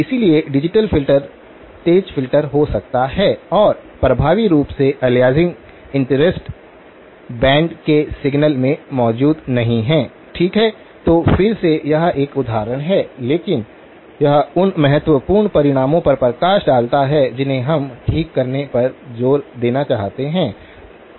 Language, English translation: Hindi, So, the digital filter could be the sharp filter and effectively the aliasing is not present in the signal band of interest, okay so again this is an example but it sorts of highlights the important results that we want to emphasise okay